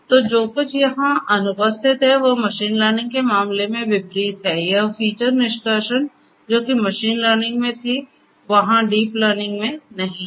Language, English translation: Hindi, So, what is absent over here is unlike in the case of machine learning, this feature extraction which was there in machine learning is not there in deep learning